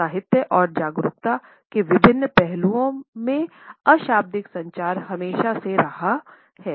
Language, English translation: Hindi, In literature and awareness of different aspects of nonverbal communication has always been there